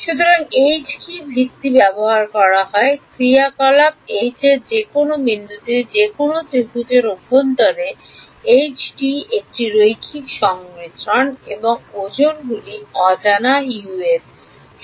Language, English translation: Bengali, So, what is H using basis functions H is at any point inside any triangle H is a linear combination of the T’s and the weights are the unknown U’s right